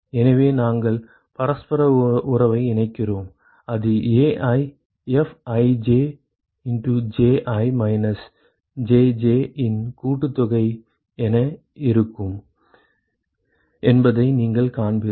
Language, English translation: Tamil, So we plug in the reciprocity relationship, you will see that it will be summation AiFij Ji minus Jj